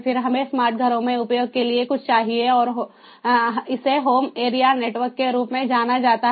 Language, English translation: Hindi, then we need something in between for use in smart homes, and this is known as the home area network